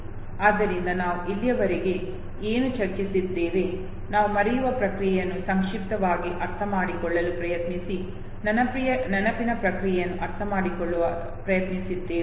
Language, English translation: Kannada, So what have we discussed till now, we have tried to understand the process of memory we have tried to succinctly no understand the process of forgetting